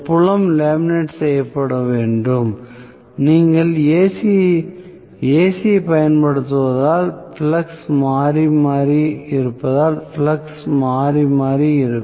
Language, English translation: Tamil, Field has to be laminated; because you are applying AC the flux will be alternating because the flux is alternating